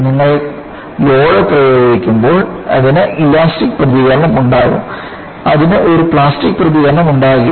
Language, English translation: Malayalam, When you apply the load, it will have elastic response; it will not have a plastic response